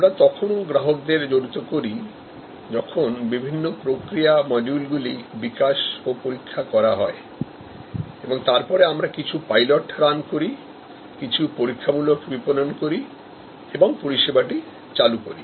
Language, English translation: Bengali, We also involve the customers, when the different process modules are developed and tested and then, we do some pilot runs, some test marketing and launch the service